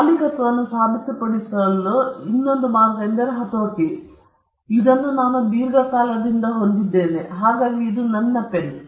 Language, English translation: Kannada, The other way to prove ownership is mere possession; you could say that I have been possessing this for a long time, this is my pen